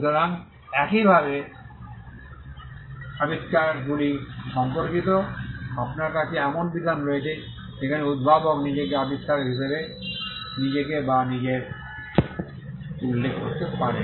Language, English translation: Bengali, So, similarly, with regard to inventions, you have a provision where the inventor can mention himself or herself as the inventor